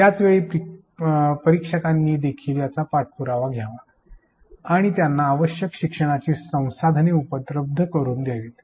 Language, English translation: Marathi, At the same time the instructor should also follow up and provide them with the desired learning resources